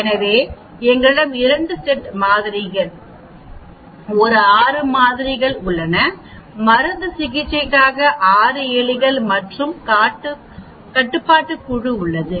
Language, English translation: Tamil, So we have 2 sets of samples, 6 samples for a drug treated rats, 6 for the controlled